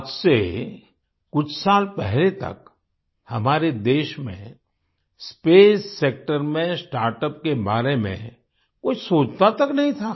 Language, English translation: Hindi, Till a few years ago, in our country, in the space sector, no one even thought about startups